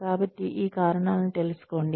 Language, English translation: Telugu, Anyway, so find out these reasons